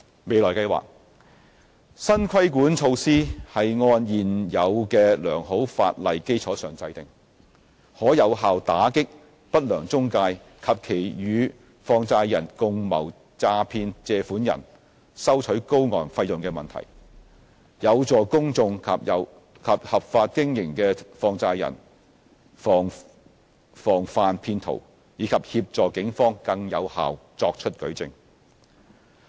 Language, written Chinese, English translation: Cantonese, 未來計劃新的規管措施是按現有的良好法例基礎制訂，可有效打擊不良中介及其與放債人共謀詐騙借款人收取高昂費用的問題，有助公眾及合法經營的放債人防範騙徒，以及協助警方更有效作出舉證。, Future plans The new regulatory measures are formulated on the basis of the sound legal provisions currently in force . They are effective in curbing the problem of unscrupulous intermediaries or such intermediaries acting in collusion with money lenders charging exorbitant fees to deceive borrowers . They can help the public and law - abiding money lenders guard against fraudsters and facilitate the evidence gathering efforts of the Police